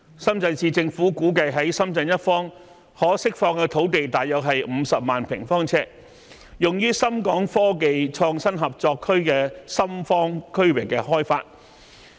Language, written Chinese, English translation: Cantonese, 深圳市政府估計在深圳一方可釋放土地約50萬平方米，用於深港科技創新合作區深方區域開發。, The Shenzhen Municipal Government estimates that it will free up about 500 000 square meters of land for development on the Shenzhen side of the Shenzhen - Hong Kong Innovation and Technology Co - operation Zone